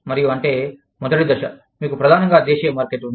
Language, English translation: Telugu, And, that is, stage one is, you have a primarily domestic market